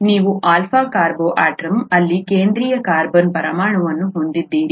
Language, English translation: Kannada, You have the central carbon atom here an alpha carbon atom